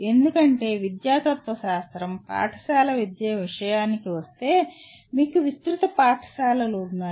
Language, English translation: Telugu, Because the educational philosophy is you have wide range of schools when it comes to school education